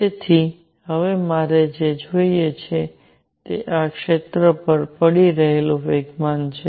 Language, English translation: Gujarati, So, what I will need now is the momentum that is falling on this area